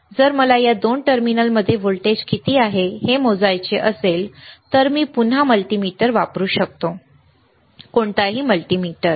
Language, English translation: Marathi, If I want to measure what is the voltage across these two terminal, I can again use a multimeter, all right any multimeter